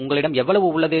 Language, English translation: Tamil, How much you have